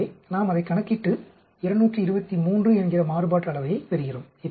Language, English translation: Tamil, So, we calculate that and we get a variance of 223